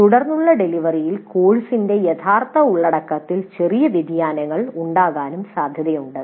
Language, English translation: Malayalam, And it is also possible that in a subsequent delivery there could be minor variations in the actual content of the course